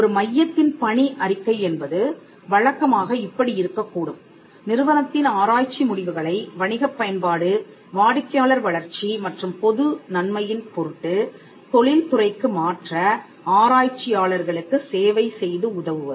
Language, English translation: Tamil, The mission of an IP centre could typically be something like this to serve and assist researchers in the transfer of institutions research results to industry for commercial application, consumer development and public benefit